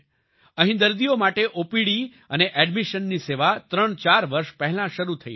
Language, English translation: Gujarati, OPD and admission services for the patients started here threefour years ago